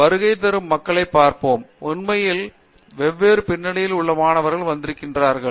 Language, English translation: Tamil, Let’s look at the people who come in, I mean presumably you may have in fact students from different backgrounds coming in